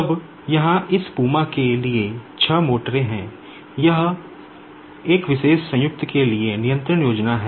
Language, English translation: Hindi, Now here, for this PUMA there are six motors, now this is the control scheme for a particular the joint